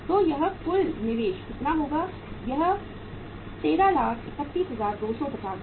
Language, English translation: Hindi, So this total investment works out as how much 13,31,250